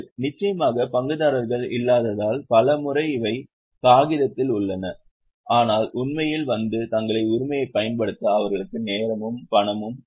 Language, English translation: Tamil, Of course, many times these are on paper because lacks of shareholders are there but they don't have time and money to actually come and exercise their right